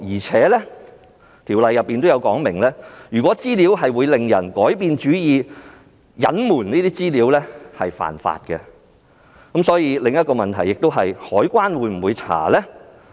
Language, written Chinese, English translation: Cantonese, 此外，《條例》亦有說明，如果資料會使人改變主意，隱瞞有關資料便屬違法，所以當中衍生的另一個問題，就是海關會否進行調查呢？, In addition the Ordinance provides that it is an offence to conceal information that can make people change their minds . So here comes another question Will the Customs and Excise Department conduct an investigation?